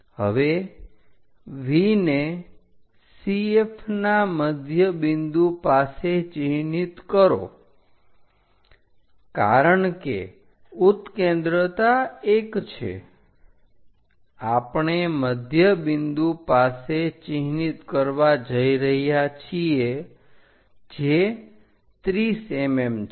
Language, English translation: Gujarati, Now, mark V at midpoint of CF because eccentricity is 1 we are going to mark at midpoint which is at 30 mm